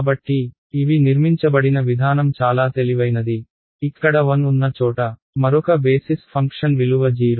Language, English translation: Telugu, So, the way these are constructed is very clever again the place where this there is 1, the other basis function has a value 0